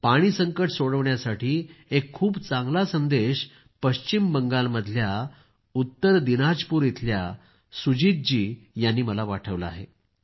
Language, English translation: Marathi, In order to solve the water crisis, Sujit ji of North Dinajpur has sent me a very nice message